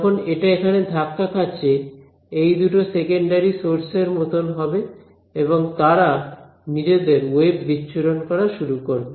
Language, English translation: Bengali, When it hits over here this and these two guys they become like secondary sources and they start emitting their own waves